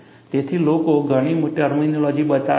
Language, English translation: Gujarati, People have coined several terminologies